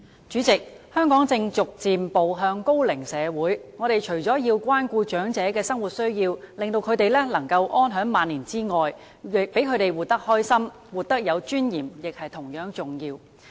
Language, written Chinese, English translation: Cantonese, 主席，香港正逐漸步向高齡社會，我們除了要關顧長者的生活需要，令他們能夠安享晚年外，讓他們活得開心、活得有尊嚴亦同樣重要。, President Hong Kong is gradually growing into an aged society . Apart from looking after the daily needs of the elderly so that they can enjoy their twilight years in a secure manner it is equally important to let them live a happy life with dignity